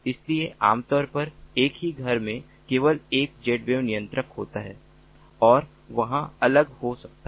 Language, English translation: Hindi, so typically in a single home there is only one z wave controller and there could be different